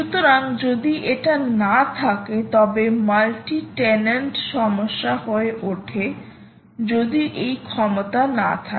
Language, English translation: Bengali, multi tenant, multi tenant or tenancy becomes an issue if you dont have these capabilities